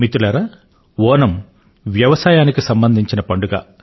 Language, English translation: Telugu, Friends, Onam is a festival linked with our agriculture